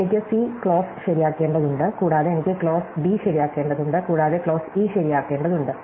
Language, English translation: Malayalam, So, I need to make clause C true and I need to make clause D true and I need to make clause E true and so on